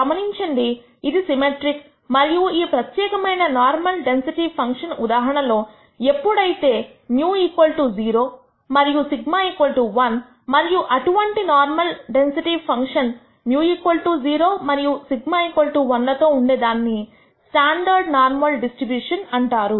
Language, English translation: Telugu, Notice that it is symmetric and in a particular case of this normal density function is when mu equals 0 and sigma is 1 and such a normal density function with mean mu 0 and sigma 1 is called a standard normal distribution